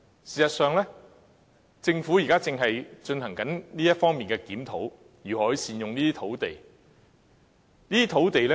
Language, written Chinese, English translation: Cantonese, 事實上，政府現時正在進行這方面的檢討，探討如何善用這些土地。, Actually the Government is now conducting a review of this respect to ascertain how such sites can be used more effectively